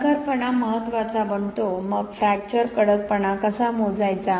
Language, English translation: Marathi, The toughness becomes important, so how to measure fracture toughness